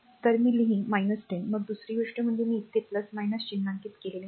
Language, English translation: Marathi, So, we will write minus 10 then second thing is that we have not marked here plus minus